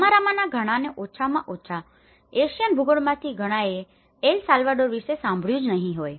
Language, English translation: Gujarati, So many of you at least from the Asian geographies, many of you may not have heard of El Salvador